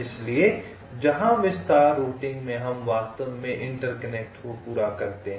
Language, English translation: Hindi, so where, as in detail routing, we actually complete the interconnections